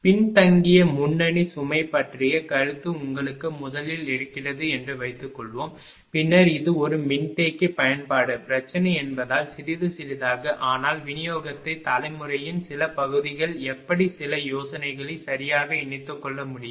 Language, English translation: Tamil, Suppose you have first thing the concept of the lagging leading load, then little bit of because it is a capacitor application problem, but little bit of distribution generation also how it can be incorporated some ideas right